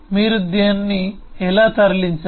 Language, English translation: Telugu, how did you move that